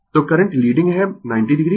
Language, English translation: Hindi, So, current is leading 90 degree